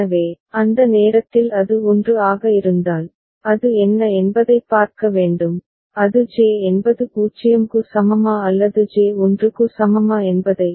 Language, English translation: Tamil, So, we shall see that at that time if it is 1, then it need to look at what is the, whether it is J is equal to 0 or J is equal to 1